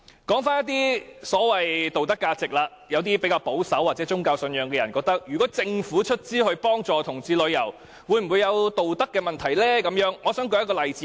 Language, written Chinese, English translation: Cantonese, 說到所謂的道德價值，有些比較保守，或有宗教信仰的人會認為，政府出資贊助同志旅遊，會否有道德上的顧慮呢？, When it comes to the so - called moral values people who are more conservative or having religious belief will query if there are moral concerns for the Government to sponsor LGBT parades